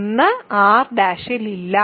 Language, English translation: Malayalam, So, it is in R